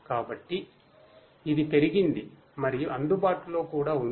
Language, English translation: Telugu, So, it has increased and is also available